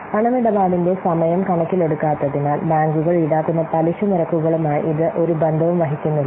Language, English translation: Malayalam, So it does not bear any relationship to the interest rates which are charged by the banks since it doesn't take into account the timing of the cash flows